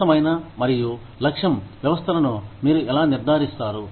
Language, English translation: Telugu, How do you ensure, fair and objective systems